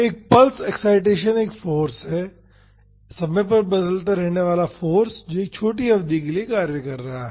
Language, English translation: Hindi, A pulse excitation is a force time varying force which is acting for a short duration